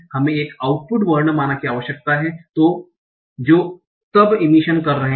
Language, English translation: Hindi, We need an output alphabet that is then what are emissions